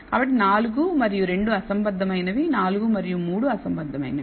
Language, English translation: Telugu, So, 4 and 2 are discordant 4 and 3 are discordant